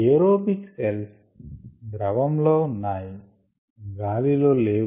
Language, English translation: Telugu, aerobic cells in culture are in the liquid